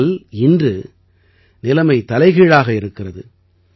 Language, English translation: Tamil, But, today the situation is reverse